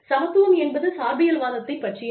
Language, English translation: Tamil, Equitability is about relativism